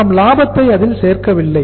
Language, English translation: Tamil, We do not add up the profit